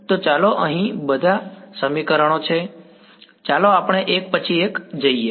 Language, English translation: Gujarati, So, let us there is a lot of equations here let us just go one by one